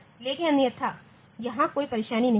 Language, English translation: Hindi, But otherwise there is no problem